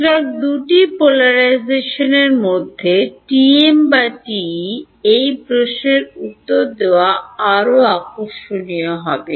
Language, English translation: Bengali, So, which of the two polarizations will be more interesting to answer this question TM or TE